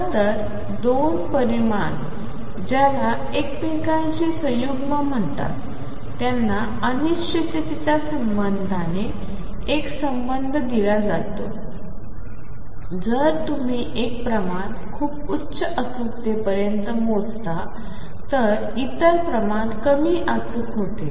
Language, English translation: Marathi, In fact, 2 quantities which are called conjugate to each other have a relationship given by uncertainty relation if you measure one quantity to very high accuracy the other quantity becomes less accurate